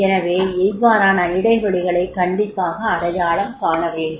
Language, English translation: Tamil, And if there is a difference, we have to identify the gap